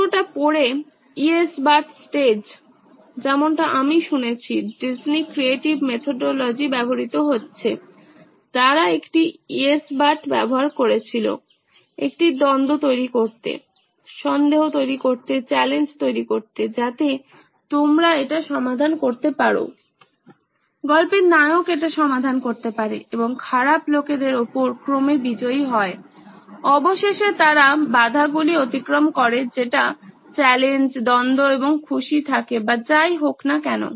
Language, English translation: Bengali, The whole read up, so this is the yes but stage as also used in I have heard it being used in the Disney creative methodology, they use a yes but to create a conflict, create doubt, create challenges so that you can solve it, the protagonist in stories can solve it and become the eventual victors over the bad guys or eventually they overcome the obstacles which is the challenge, the conflict and are happy or whatever